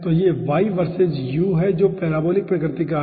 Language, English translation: Hindi, so this: y verses u, that is parabolic nature